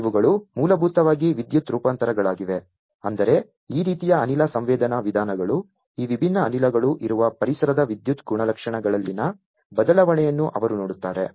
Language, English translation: Kannada, These one’s basically are the electrical variants; that means, that these type of gas sensing methods like this one’s, they look at the change in the electrical properties of the environment where these different gases are